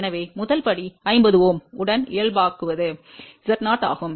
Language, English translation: Tamil, So, the first step is we normalize with 50 Ohm which is Z 0